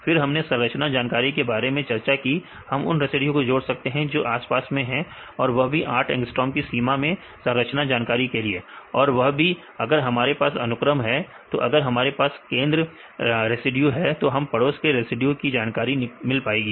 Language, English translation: Hindi, Then we discussed about the structure information we can add the residues which are neighboring occurring with the limit of 8 angstrom to account for the structural information, and also if we have the sequence right if the central residue we can get the neighboring residue information to include the sequence information right